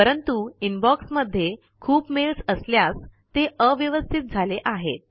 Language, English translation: Marathi, But there may be many mails in the Inbox Therefore it may be cluttered